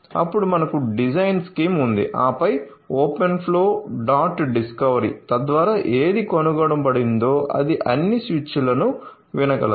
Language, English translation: Telugu, Then we have the design scheme then open flow dot discovery so, that it can listen to all the switches whichever is been discovered